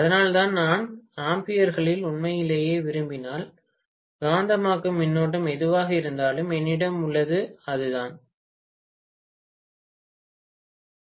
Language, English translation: Tamil, That is the reason why if I want really in amperes, whatever is the magnetising current, I have to divide it by Rs, Rs I have measured, so it is not a big deal